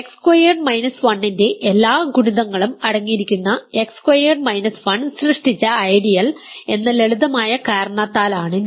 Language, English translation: Malayalam, This is for the simple reason that X squared minus 1 the ideal generated by X squared minus 1 contains all multiples of X squared minus 1